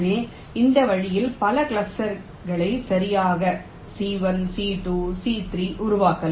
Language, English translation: Tamil, so in this way, several clusters can be formed right: c one, c two, c, three